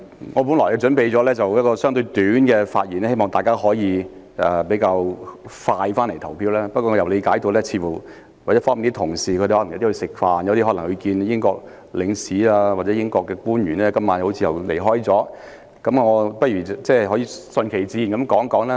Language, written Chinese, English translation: Cantonese, 我本來準備了相對簡短的發言，希望大家可以盡快投票，但我理解到有些同事正在用膳或今晚因要與英國領事和官員會面而離開了會議廳，我不如順其自然地發言。, Initially I prepared to give a short speech so that Members can cast their votes as soon as possible . However I understand that some Members are now having dinner and some have left the Chamber for a meeting with the British Consul - General and other British Government officials . Under the circumstances I may as well let my speech flow naturally